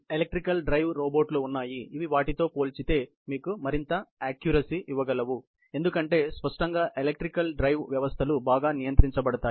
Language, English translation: Telugu, There are electrical drive robots, which are comparatively, much more accurate you know, because; obviously, the electrical drive systems are better controlled